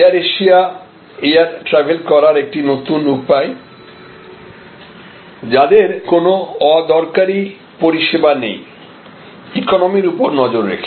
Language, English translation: Bengali, Air Asia, a new way of consuming air travel with no frills service and emphasis on economy